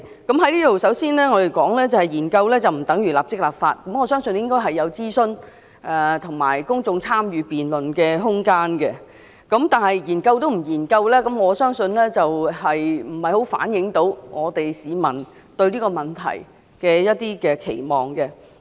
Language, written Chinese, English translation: Cantonese, 我在這裏首先要說，研究政策不等於立即立法，我相信要有諮詢和公眾參與辯論的空間，但連研究也不做，便不太能反映市民對這個問題的期望。, I have to point out that studying the policies does not necessary mean immediate enactment of legislation . I believe that there should be room for public consultation and public debate . If the Government is not going to conduct a study it will be difficult to gauge public expectations about this issue